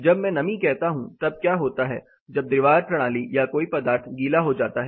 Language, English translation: Hindi, When, I say moisture what happens when the wall system or a particular material gets wet